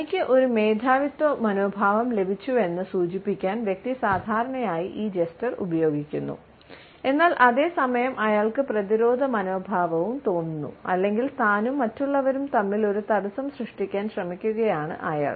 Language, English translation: Malayalam, The person normally uses this cluster to suggest that he has got a superiority attitude, but at the same time he is feeling defensive or he is trying to create a barrier between himself and others